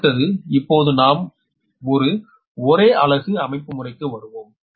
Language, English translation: Tamil, next is: now we will come to the per unit system, right